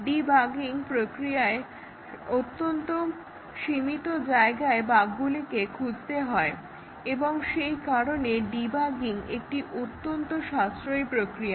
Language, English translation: Bengali, We have very limited place to look for the bug during debugging process and therefore, the debugging is cost effective